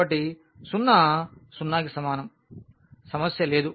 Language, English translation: Telugu, So, 0 is equal to 0, there is no problem